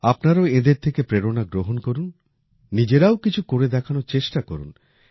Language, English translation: Bengali, You too take inspiration from them; try to do something of your own